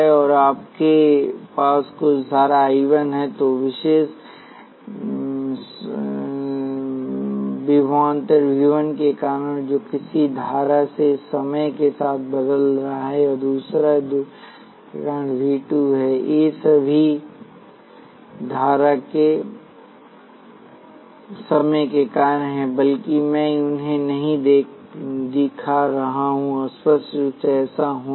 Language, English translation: Hindi, And if you have certain current I 1, because of particular voltage V 1 which is varying with timing in some way; and another current because of another voltage way form V 2, these are all functions of time, all though, I am not showing them explicitly to be so